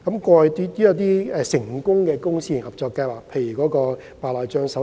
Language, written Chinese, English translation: Cantonese, 過去也有成功的公私營合作計劃，包括白內障手術。, There were successful public - private partnerships in the past including the public - private partnership for cataract surgery